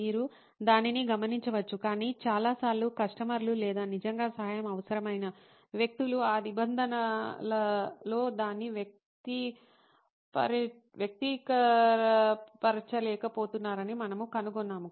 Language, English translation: Telugu, You can note that down, but most times we find that customers or people who really need help are not able to express it in those terms